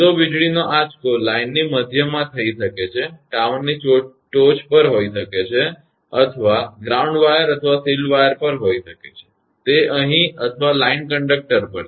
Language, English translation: Gujarati, The direct lightning stroke may be happen in the middle of the line, may be on the top of the tower or may be on the ground wire or shield wire; here it is or on a line conductor